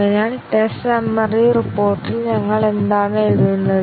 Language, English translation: Malayalam, So, what do we write in the test summary report